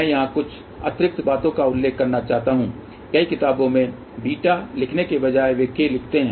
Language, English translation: Hindi, I just want to mention of you additional thing here many books instead of writing beta they write k